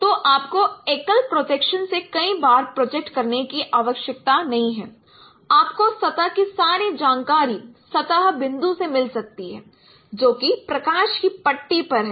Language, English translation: Hindi, So, you need not project multiple times only from single projections you can get information of all the surface which is surface points which is lying on this no light strip